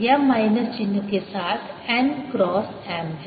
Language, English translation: Hindi, it is n cross m with the minus sign